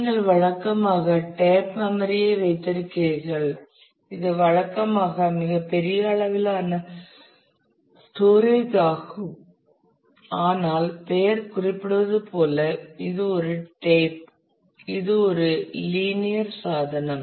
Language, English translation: Tamil, Then you have the tape storage which usually is a largest volume of storage, but it is as a name suggests it is a tape it is a linear device